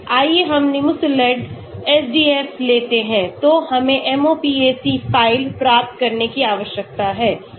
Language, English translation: Hindi, Let us take Nimesulide SDF, so we need to get the MOPAC file